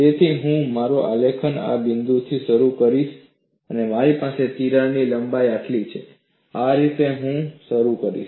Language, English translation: Gujarati, So, I would start my graph from this point; if I have the crack length is this much, so that is a way I would start